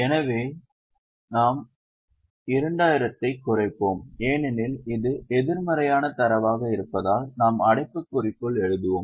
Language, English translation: Tamil, Now we are going to reverse it so we will reduce 2000 because it is a negative figure we will write it in bracket